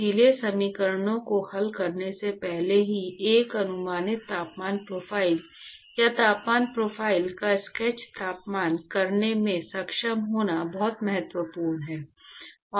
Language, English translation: Hindi, So, it is very important to be able to get an approximate temperature profile or sketch of the temperature profiles even before solving the equations